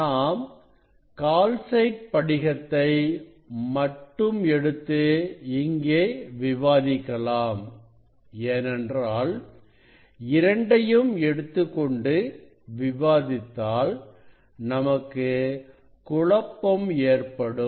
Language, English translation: Tamil, this we will discuss for taking the calcite crystal, because both we will not discuss than things will be confused